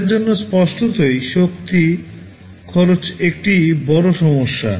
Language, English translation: Bengali, For them obviously, energy consumption is a big issue